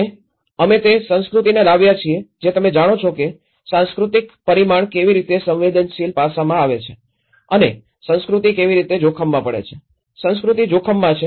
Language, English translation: Gujarati, And also, we have brought the culture you know the how the cultural dimension into the vulnerable aspect and how culture becomes at risk, culture is at risk